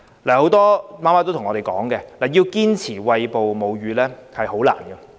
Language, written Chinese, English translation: Cantonese, 很多母親向我們反映，要堅持餵哺母乳十分困難。, Many mothers have relayed to us that it is extremely difficult to persist in breastfeeding